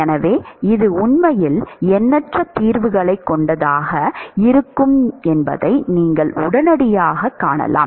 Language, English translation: Tamil, So, you can immediately see that it is actually infinite number of solutions